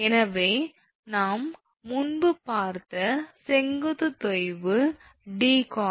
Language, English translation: Tamil, So, vertical sag we have seen earlier it is d cos theta